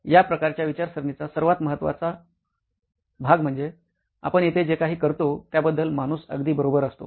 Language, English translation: Marathi, The most important part of this type of thinking is that the human is right at the centre of whatever we do here